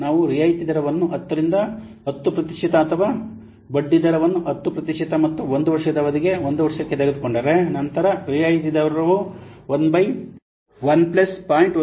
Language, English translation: Kannada, If you will take the discount rate as 10% or the interest rate at 10% and one year period for one year period, the discount factor is equal 1 by 1 plus this much 0